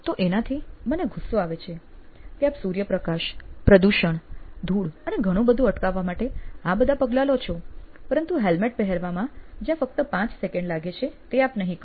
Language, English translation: Gujarati, So, to me that was bugging that you take all these steps to prevent your exposure to sunlight, to pollution, to dust and what not but you do not take the basic 5 seconds it takes to wear a helmet